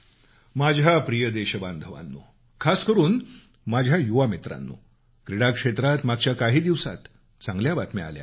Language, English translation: Marathi, My dear countrymen, especially my young friends, we have been getting glad tidings from the field of sports